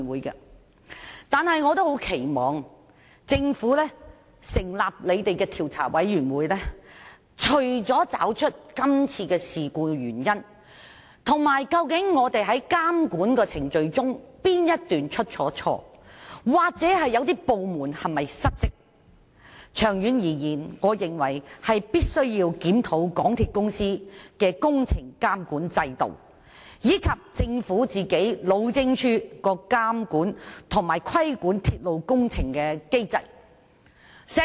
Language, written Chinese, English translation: Cantonese, 然而，我除了十分期望政府成立的調查委員會找出今次事故的原因，哪部分監管程序出錯或是否有部門失職，更認為長遠而言必須檢討港鐵公司的工程監管制度及路政署監管鐵路工程的機制。, Nevertheless I very much hope that the Commission of Inquiry set up by the Government will find out the reasons for this incident . It should find out the inadequacies in the monitoring process and whether there is a dereliction of duty on the part of any government department . In the long term I also think that a review should be conducted on MTRCLs works monitoring system and the mechanism of the Highways Department HyD in monitoring railway projects